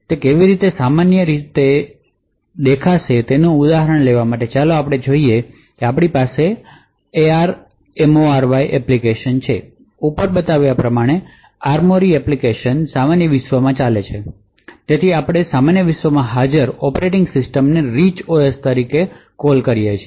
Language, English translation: Gujarati, So just to take an example of how it would typically look like so let us say we have an ARMORY application as shown over here so the ARMORY application runs in the normal world so we call the operating system present in the normal world as the Rich OS